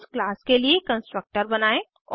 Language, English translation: Hindi, Create a constructor for the class